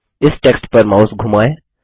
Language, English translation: Hindi, Hover the mouse over this text